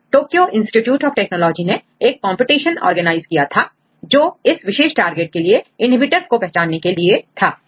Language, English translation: Hindi, So, in 2004 the Tokyo Institute of Technology organized a competition, to identify a inhibitors for this particular target